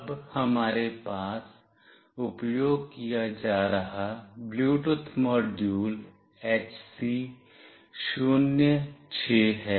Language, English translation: Hindi, Now, the Bluetooth module that we are using here is HC 06